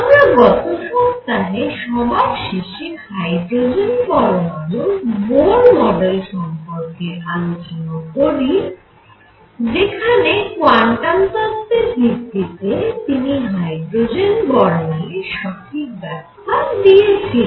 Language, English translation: Bengali, And finally, we ended the week with the discussion of Bohr model of hydrogen atom, where by applying quantum foundations, he obtained the correct explanation of hydrogen spectrum